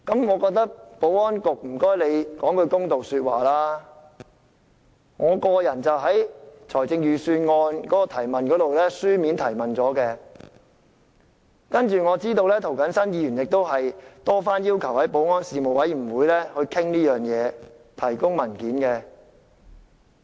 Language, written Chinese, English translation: Cantonese, 我請保安局說句公道話，我在立法會審議財政預算案時曾提出書面質詢，我知道涂謹申議員亦多番要求保安事務委員會就此事進行討論及提供文件。, I would like the Security Bureau to make an impartial remark . I raised a written question when the Legislative Council was scrutinizing the Budget . I know that Mr James TO also asked the Panel on Security several times to hold discussions on this matter and provide papers